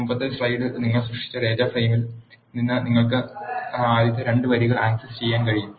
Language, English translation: Malayalam, You can see in the result from the data frame what you have created in the previous slide you are able to access the first 2 rows